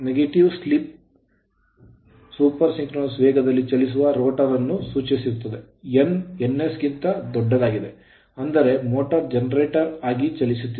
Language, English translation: Kannada, So, negative slip implies rotor running at super synchronous speed n greater than n s; that means, motor is runningas a generator right